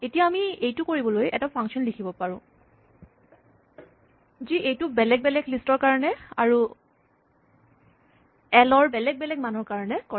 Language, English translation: Assamese, Now, we could write a function to do this, which does this for different lists and different values of l